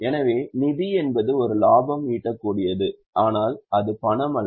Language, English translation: Tamil, So, fund is a amount of profit generated but it's not cash